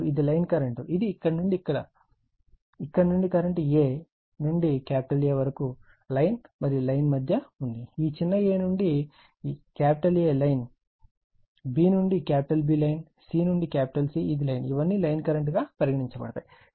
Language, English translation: Telugu, And this is the line current this is the current from here to here line a to A is the line, line to line, this small a to A is line, small b to B is line, small c to capital C, it is line, all these cases